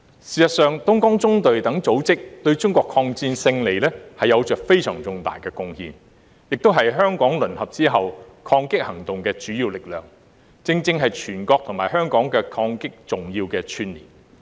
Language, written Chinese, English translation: Cantonese, 事實上，東江縱隊等組織對中國的抗戰勝利有着非常重大的貢獻，也是香港淪陷後抗擊行動的主要力量，正正是全國和香港抗戰的重要串連。, As a matter of fact organizations such as the Dongjiang Column have significantly contributed to Chinas victory in the War of Resistance . They were also the major resistance force during Japanese occupation of Hong Kong . They acted as an important connection between the resistance forces across the country and in Hong Kong